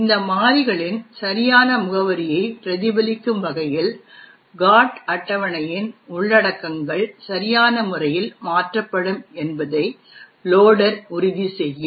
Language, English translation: Tamil, The loader will ensure that the contents of the GOT table will be appropriately modified, so as to reflect the correct address of these variables